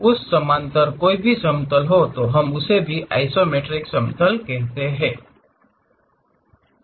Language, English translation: Hindi, Any plane parallel to that also, we call that as isometric plane